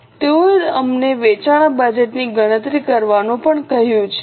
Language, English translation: Gujarati, They have also asked us to calculate the sales budget